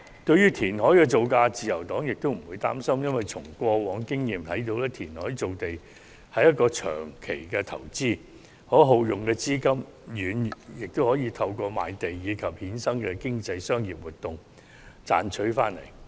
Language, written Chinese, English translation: Cantonese, 對於填海工程造價，自由黨亦不擔心，因為從過往經驗可發現填海造地是一項長期投資，所耗用的資金亦可透過賣地和衍生的經濟商業活動賺回來。, As for the project costs for reclamation the Liberal Party is not worried as past experiences have shown that reclamation is a long term investment and the reclamation costs can be recovered through land sales and the resultant economic and business activities